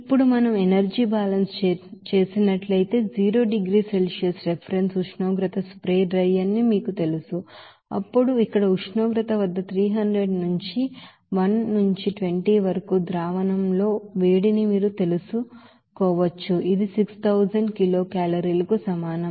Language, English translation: Telugu, Now, if we do the energy balance, so what this you know spray drier with reference temperature of 0 degree Celsius, then we can have this you know heat with solution here 300 into 1 into 20 at the temperature here it will be is equal to 6000 kilo calorie